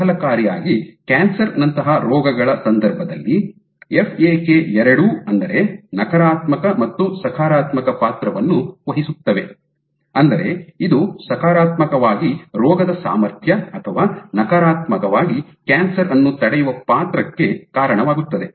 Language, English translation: Kannada, And interestingly in the case of diseases like cancer FAK can play both a positive role; that means, it leads to potentiation of the disease or a negative role which will inhibit cancer